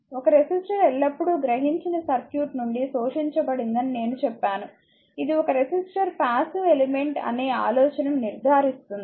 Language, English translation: Telugu, I told you thus a resistor always your absorbed power from the circuit it absorbed, right this confirms the idea that a resistor is passive element